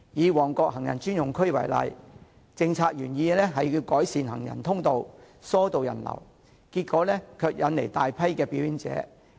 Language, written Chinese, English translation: Cantonese, 以旺角行人專用區為例，政府的政策原意是要改善行人通道，疏導人流，結果卻引來大批表演者。, Take the Mong Kok Pedestrian Precinct as an example . The Governments original policy intent of establishing the Precinct was to facilitate pedestrian passage and reduce people flow but the Precinct had attracted a large number of performers instead